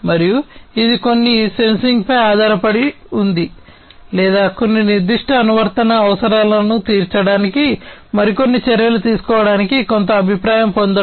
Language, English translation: Telugu, And it was based on some sensing or then getting some feedback for taking some further action to serve certain specific application requirements